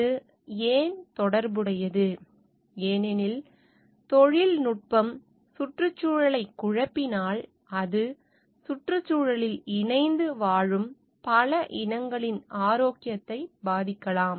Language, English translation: Tamil, And why it is related, because the technology in case it messes up with the environment, it can affect the health of many breeds that their co existing in the environment